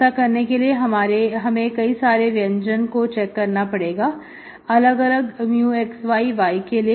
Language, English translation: Hindi, To do this, we have to check certain expressions, different expressions for different mu of x, y